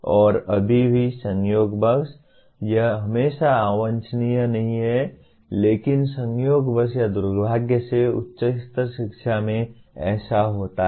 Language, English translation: Hindi, And still incidentally, it is not always undesirable, but incidentally or unfortunately the especially at higher education this is what happens